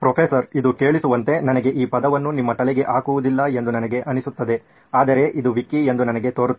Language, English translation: Kannada, It sounds to me like I do not put the word in your heads but it sounds to me like this is a wiki